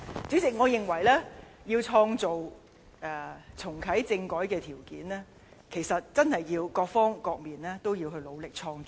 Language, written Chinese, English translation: Cantonese, 主席，我認為要創造重啟政改的條件，真的需要各方面共同努力。, President I believe each side has to play its part in creating the conditions for reactivating constitutional reform